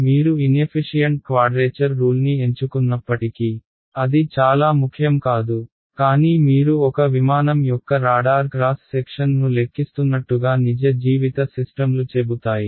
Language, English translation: Telugu, So, it will not matter very much even if you choose a inefficient quadrature rule, but you can imagine then real life systems let us say you are calculating the radar cross section of a aircraft